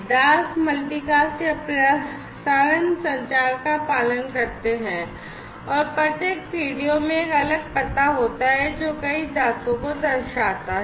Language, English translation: Hindi, So, the slaves basically will follow multicast or, broadcast communication and every PDO contains a distinct address denoting the several slaves